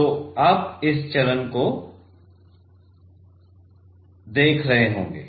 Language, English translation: Hindi, So, you will be seeing this phase